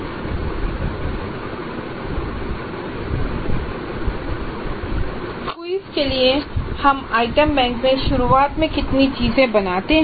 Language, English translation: Hindi, Now how many items do we create initially in the item bank for quizzes